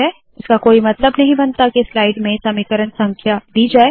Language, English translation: Hindi, It does not make sense to give equation numbers in a slide